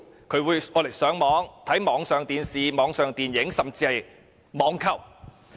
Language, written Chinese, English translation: Cantonese, 他們會利用電視機上網、收看網上電視和電影，甚至進行網購。, They use TV to surf the Internet watch online TV programmes and movies and even make online purchase